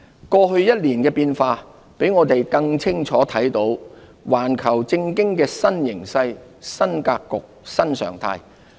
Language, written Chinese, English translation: Cantonese, 過去一年的變化，讓我們更清楚看到環球政經的新形勢、新格局、新常態。, The changes over the past year have unveiled a new situation new landscape and new norm of global politics and economics